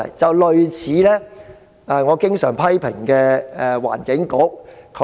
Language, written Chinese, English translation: Cantonese, 情況便一如我經常批評的環境局的情況般。, The situation is like the case of the Environment Bureau under my constant criticism